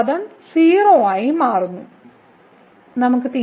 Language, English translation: Malayalam, So, you will get this limit as 0